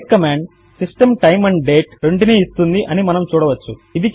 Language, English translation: Telugu, As we can see the date command gives both date and time